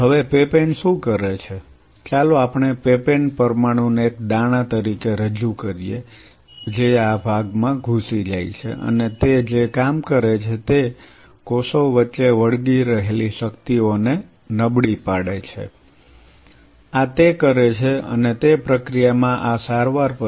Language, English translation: Gujarati, Now, what papain does is, let us represent papain molecule as a grain it kind of infiltrate into these zones and the job it is does is weaken the adhering forces between the cells, this is what it does and in that process followed by this treatment